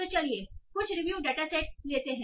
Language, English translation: Hindi, So, let us take some review data sets